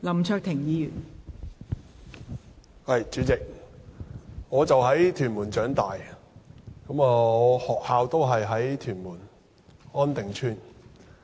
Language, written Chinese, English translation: Cantonese, 代理主席，我在屯門區長大，就讀的學校亦位於屯門安定邨。, Deputy President I grew up in Tuen Mun and the school I went to was also located in On Ting Estate Tuen Mun